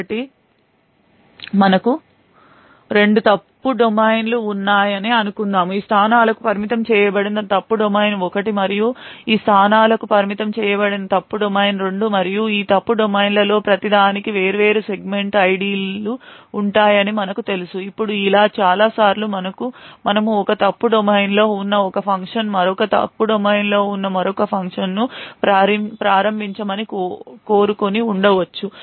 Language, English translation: Telugu, So let us say that we have two fault domains, fault domain 1 which is restricted to these locations and fault domain 2 which is restricted to these locations and as we know each of these fault domains would have different segment IDs, now there would be many times where we would want one function present in one fault domain to invoke another function present in another fault domain